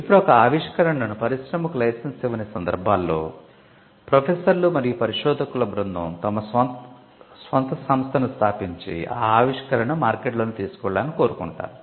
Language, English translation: Telugu, Now, in cases where the invention is not licensed to an industry rather there are group of people probably a team of professors and researchers, who now want to set up their own company and then take it to the market